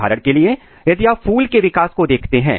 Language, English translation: Hindi, For example, if you if you take the case of flower development